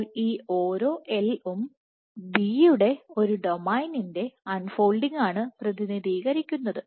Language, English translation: Malayalam, So, each of these L corresponds to unfolded unfolding of one domain of B